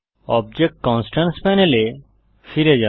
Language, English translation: Bengali, This is the Object Constraints Panel